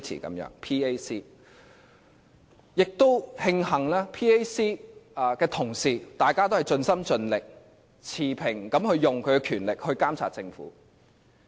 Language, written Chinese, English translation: Cantonese, 我也慶幸 PAC 的同事都盡心盡力、持平的行使他們的權力監察政府。, I am also glad to see the dedication of PAC members to their duty of monitoring the Government with the impartial use of their power